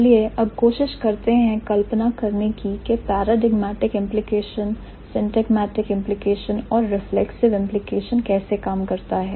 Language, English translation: Hindi, So, now let's try to visualize how the paradigmatic implications, syntagmatic implication and reflexive implication works